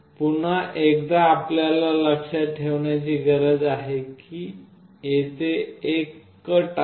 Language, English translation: Marathi, Again one thing you have to remember is that there is a cut here